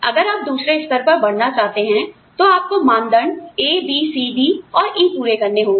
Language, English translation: Hindi, If you want to move on to the next level, you must fulfil criteria A, B, C, D and E